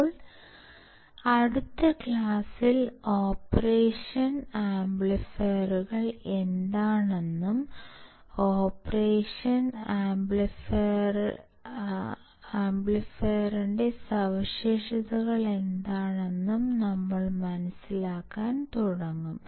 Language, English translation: Malayalam, Now, in the next class we will start understanding what the operational amplifiers are, and what are the characteristics of the operational amplifier